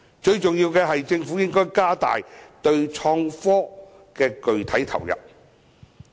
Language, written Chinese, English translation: Cantonese, 最重要的是，政府應該加大對創新科技的具體投入。, Most importantly the Government should increase its input to IT